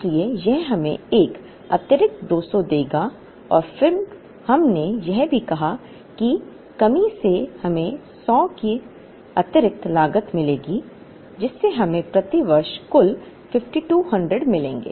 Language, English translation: Hindi, So, that would give us an additional 200 and then we also said that the shortage would give us an additional cost of 100, which would give us a total of 5200 per year